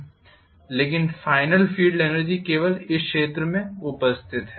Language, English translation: Hindi, But the final field energy present is only this area